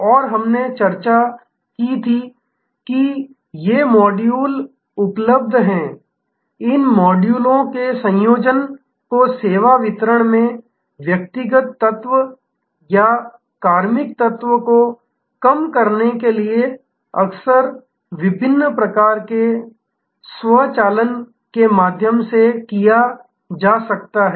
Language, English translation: Hindi, And we had discussed that these modules being available, the combination of these modules can be done often through different types of automation to reduce the personal element or personnel element in the service delivery